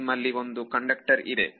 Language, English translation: Kannada, If you have some conductor